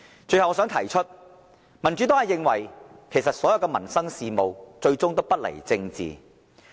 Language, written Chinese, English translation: Cantonese, 最後，我想提出，民主黨認為所有民生事務最終都不離政治。, Lastly I would like to say the Democratic Party considers all livelihood issues are political in nature